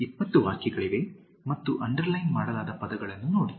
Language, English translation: Kannada, There are 20 sentences and look at the words which are underlined